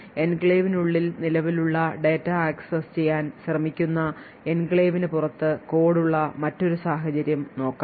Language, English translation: Malayalam, So, let us see another scenario where you have code present outside the enclave trying to access data which is present inside the enclave